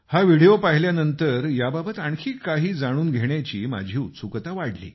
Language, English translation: Marathi, After watching this video, I was curious to know more about it